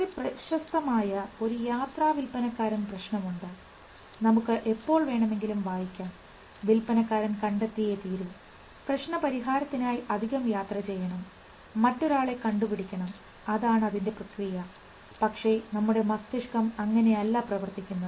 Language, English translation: Malayalam, There is a very famous traveling salesman problem you can always read that if a salesman has to find, does he go door to door to find somebody because that is the process but brain doesn't work this way